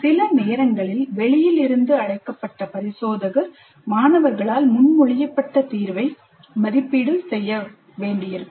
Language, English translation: Tamil, Sometimes external may have to be invited to sit in and evaluate the solution proposed by the students